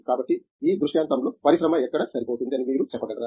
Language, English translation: Telugu, So, in this scenario, where do you see the industry fit in